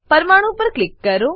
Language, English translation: Gujarati, Click on the atom